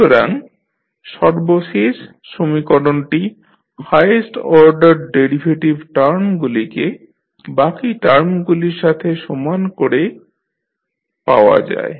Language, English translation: Bengali, So, the last equation which we obtain is received by equating the highest order derivatives terms to the rest of the term